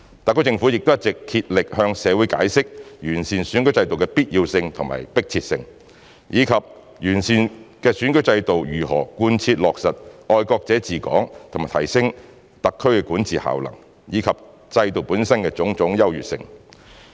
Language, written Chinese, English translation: Cantonese, 特區政府亦一直竭力向社會解釋完善選舉制度的必要性和迫切性，以及完善的選舉制度如何貫徹落實"愛國者治港"和提升特區管治效能，以及制度本身的種種優越性。, Besides the HKSAR Government all along spares no effort in explaining to the public about the advantages the necessity and urgency of improving the electoral system as well as how the improved electoral system fully implements patriots administering Hong Kong and enhances the effectiveness of governance